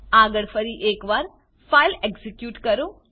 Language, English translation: Gujarati, Next execute the file one more time